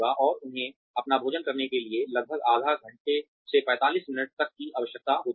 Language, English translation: Hindi, And, they also need, about half an hour to 45 minutes to have their food